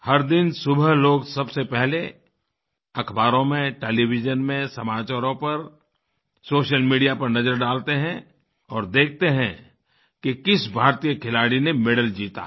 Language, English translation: Hindi, Every morning, first of all, people look for newspapers, Television, News and Social Media to check Indian playerswinning medals